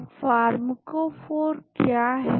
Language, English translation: Hindi, Now, what is a pharmacophore